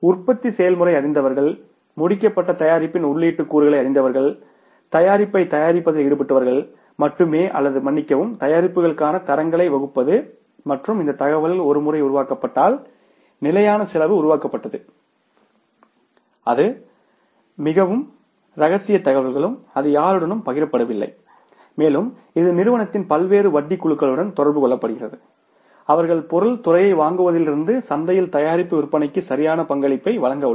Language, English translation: Tamil, People who know the manufacturing process, people who know the input components of finish product, only those are involved in manufacturing the product or devising the standards for the product and this information once developed, the standard cost is developed, that is very confidential information also that is not shared with anybody and that remains communicated to the different interest groups in the firm who are going to contribute right from the purchase of the material department to the selling of the product in the market